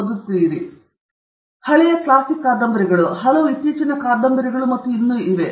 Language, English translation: Kannada, These are old classic novels, there are many more recent novels and so on